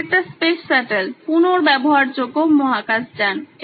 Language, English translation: Bengali, This is a space shuttle, a reusable space vehicle